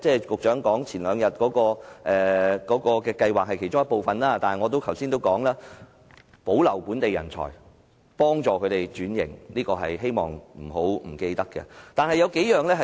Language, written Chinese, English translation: Cantonese, 局長前兩天提出的計劃固然是其中一部分，但我剛才也說過，政府也要保留本地人才，幫助他們轉型，我希望政府千萬不要忘記。, The Scheme announced by the Secretary two days ago is certainly part of its work but as I said just now the Government also needs to retain local talent and help them change their profession and I beg the Government not to forget